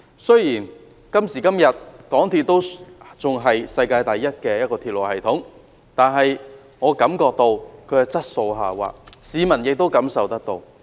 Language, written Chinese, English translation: Cantonese, 雖然港鐵仍然是世界第一的鐵路系統，但我感到它的質素下滑，市民亦感受得到。, The MTRCL railway is still the world number one railway system but I can feel that its quality is deteriorating so can the public